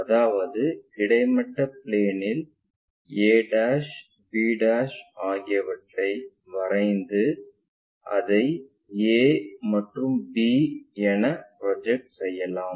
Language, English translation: Tamil, That means, can we draw on the vertical plane the a', b', and then project it maybe a and b